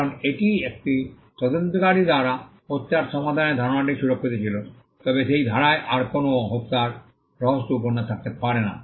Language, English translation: Bengali, Because, that is an idea of a murder being solved by an investigator was that is protected then there cannot be any further murder mystery novels in that genres